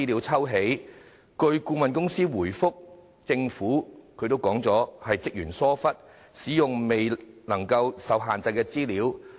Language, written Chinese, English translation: Cantonese, 據相關顧問公司回覆，問題源於職員疏忽，使用了受限制的資料。, According to the reply of the consultancy in question the use of restricted information was due to the negligence of staff members